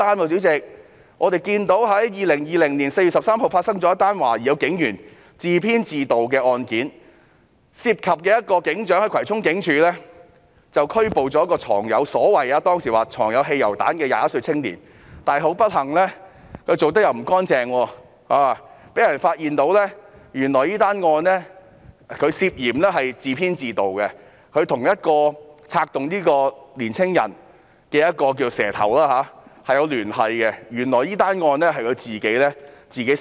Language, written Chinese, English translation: Cantonese, 主席，在2020年4月13日亦發生了一宗懷疑警員自編自導的案件，涉及一名警長在葵涌警署拘捕了一名據稱藏有汽油彈的21歲青年，但不幸地，由於那名警長辦事不夠俐落，結果被人發現這宗案件涉嫌是由他自編自導，揭發他與策動這名青年的"蛇頭"有聯繫，原來這宗案件是由他自編自導的。, Chairman a case suspected to be plotted by a police officer occurred on 13 April 2020 as well which involved a sergeant having arrested a 21 - year - old youngster at Kwai Chung Police Station allegedly in possession of petrol bombs . Yet unfortunately as that sergeant has not acted smartly it was finally discovered that the case was suspected to be plotted by himself . It was revealed that he had liaised with the middleman who had instigated the actions of that youngster